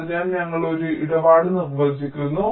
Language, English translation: Malayalam, so we are defining a tradeoff